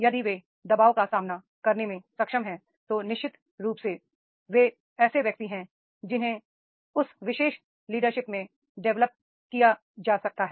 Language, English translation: Hindi, If they are able to coping with the pressure, then definitely they are the persons, those who can be developed in particular leaderships